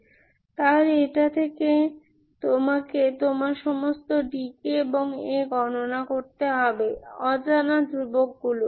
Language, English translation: Bengali, So from this you have to calculate all your d k and A, the unknown constants